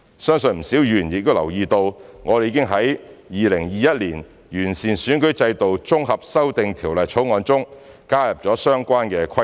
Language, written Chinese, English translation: Cantonese, 相信不少議員亦已留意到，我們已經在《2021年完善選舉制度條例草案》中加入了相關的規定。, I believe quite a number of Members have also noticed that we have added the relevant provisions to the Improving Electoral System Bill 2021